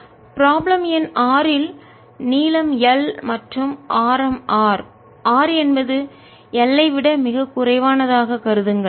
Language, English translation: Tamil, in problem number six it says: consider a long cylinder of length, l and radius r, r much less than l